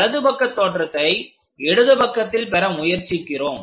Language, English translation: Tamil, From right side we are trying to project it on to the left side